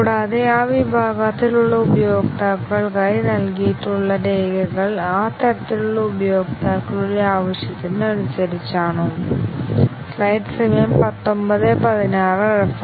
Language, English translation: Malayalam, And, whether the documents that have been provided for those category of users are as per requirement of those types of users